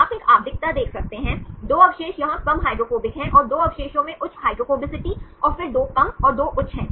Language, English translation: Hindi, You can see a periodicity, 2 residues are less hydrophobic here and 2 residues have high hydrophobicity and then again 2 less and 2 high